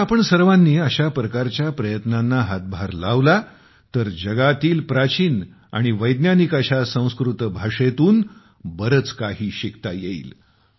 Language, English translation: Marathi, If we all join such efforts, we will get to learn a lot from such an ancient and scientific language of the world